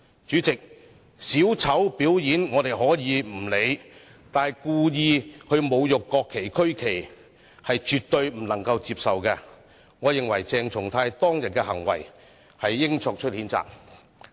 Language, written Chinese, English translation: Cantonese, 主席，小丑表演，我們可以不理會，但故意侮辱國旗、區旗是絕對不能接受，我認為應對鄭松泰議員當天的行為作出譴責。, President when a clown puts up a performance we can ignore it; but deliberate desecration of the national flag and the regional flag is absolutely unacceptable . I think Dr CHENG Chung - tai should be censured for his behaviour on that day